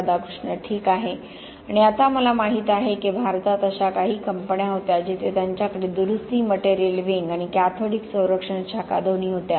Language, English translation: Marathi, Ok and now I know there were some companies in India also where they were having both, repair material wing and cathodic protection wing